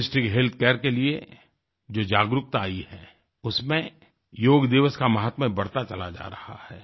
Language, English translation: Hindi, The awareness about Holistic Health Care has enhanced the glory of yoga and Yoga day